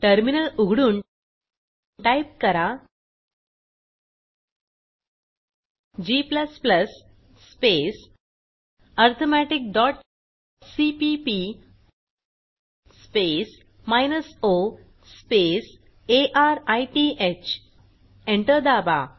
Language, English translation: Marathi, To compile, typegcc space arithmetic dot c minus o space arith